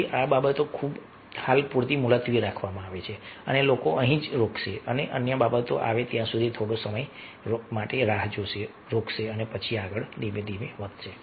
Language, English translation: Gujarati, so these things are adjourn for the time being and people will just stop here and for some time till the other things have come up, and then they will proceed further